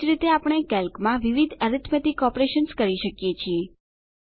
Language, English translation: Gujarati, Similarly, we can perform various arithmetic operations in Calc